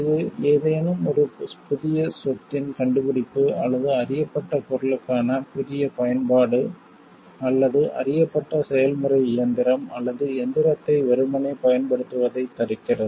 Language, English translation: Tamil, This prevents patenting of mere discovery of any new property or new use for a known substance or of the mere use of a known process machine or apparatus